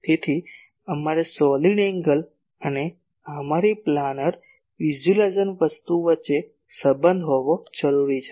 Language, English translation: Gujarati, So, we need to have a relation between the solid angle and our planar visualisation thing